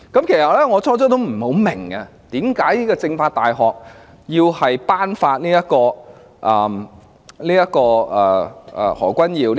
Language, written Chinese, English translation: Cantonese, 其實，我最初也不明白，為何中國政法大學要頒發給何君堯議員......, At first I did not understand why the China University of Political Science and Law had to award Dr Junius HO with